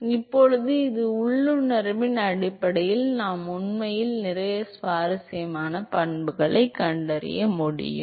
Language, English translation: Tamil, So, now, simply based on this intuition, we can actually detect lot of interesting properties